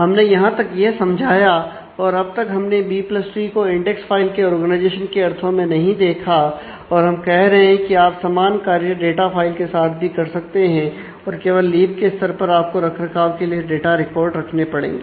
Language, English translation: Hindi, So, far we have not explained the whole B + tree in terms of index file organization and we are saying that you can do the same thing with the data file and only at the leaf level you will have to actually keep the data records for maintenance